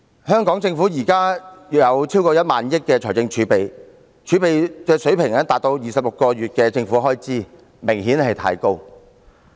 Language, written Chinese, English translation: Cantonese, 香港政府現時財政儲備超過 10,000 億元，儲備水平達到26個月的政府開支，明顯過高。, Hong Kongs present fiscal reserves have exceeded 1,000 billion equivalent to government expenditure for 26 months which is obviously too high